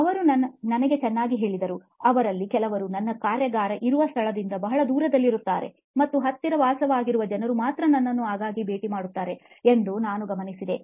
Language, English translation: Kannada, He told me well, some of them live very far away from where I have my workshop and I noticed that only people who live close by, they visit me often